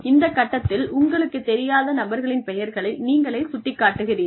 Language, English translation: Tamil, And, at that point, you just cross out the names of people, who you do not know